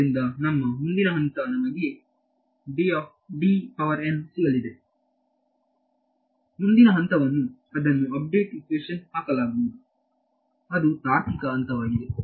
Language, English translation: Kannada, So, our next step is we have got D n the next step is going to be put it into update equation right that is a logical next step